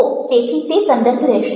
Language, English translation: Gujarati, so that will be context